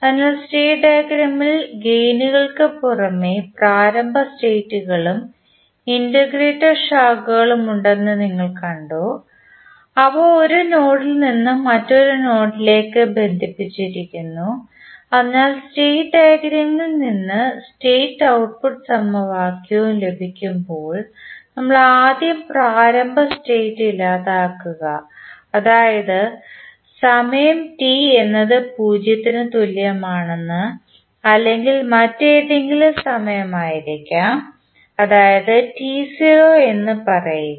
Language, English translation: Malayalam, So, in the state diagram you have seen that there are initial states and integrator branches in addition to the gains, which we connect from one node to other node, so when we derive the state and the output equation from the state diagram, we first delete the initial states that is we say like time t is equal to 0 or may be any other time, say t naught what are the initial states